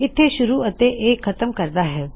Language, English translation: Punjabi, This starts and this ends